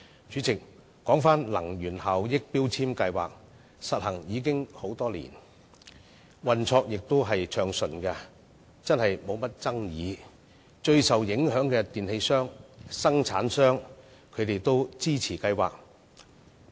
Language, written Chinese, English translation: Cantonese, 主席，強制性標籤計劃已實施多年，運作亦暢順，無甚爭議，連最受影響的電器銷售商和生產商也予以支持。, President MEELS has been implemented for many years and operated smoothly without any controversy . Even sellers and manufacturers of electrical appliances who have been most affected likewise render it their support